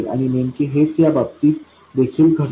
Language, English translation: Marathi, And exactly the same thing happens in this case as well